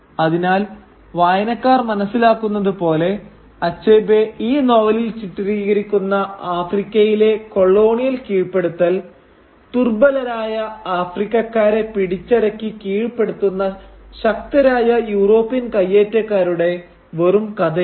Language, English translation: Malayalam, Thus, as the reader realises, the colonial subjugation of Africa as Achebe depicts it in this novel, is not the simplistic story of a strong European aggressor conquering and subjugating the weak Africans